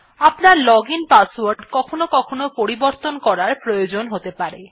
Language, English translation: Bengali, Sometimes your login password may get compromised and/or you may want to change it